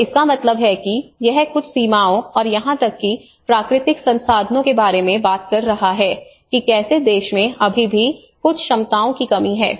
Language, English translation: Hindi, So which means that is where it is talking about where there is certain limitations and even having natural resources, how the country is still lacking with some abilities you know how the capacities